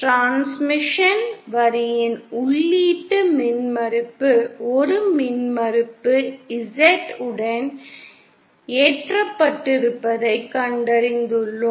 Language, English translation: Tamil, We have found that the input impedance of transmission line loaded with an impedance Z